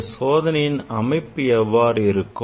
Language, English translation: Tamil, what is the experimental arrangement for this experiment